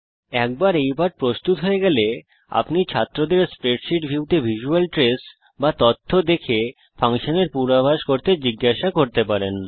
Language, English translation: Bengali, Once this lesson is prepared you can ask students to predict the function by seeing the visual trace or the data in the spreadsheet view